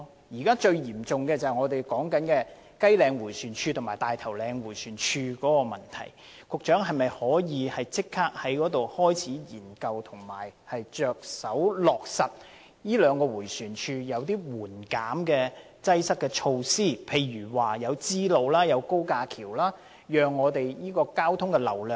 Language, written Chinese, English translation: Cantonese, 現時最嚴重是雞嶺迴旋處及大頭嶺迴旋處的問題，局長可否立即研究及着手在這兩個迴旋處落實一些紓緩交通擠塞的措施，例如興建支路和高架橋，以疏導交通流量？, Given that Kai Leng Roundabout and Tai Tau Leng Roundabout are now facing the worst problems can the Secretary immediately study and implement measures to alleviate traffic congestion at these two Roundabouts by for instance constructing bypasses to divert traffic flows?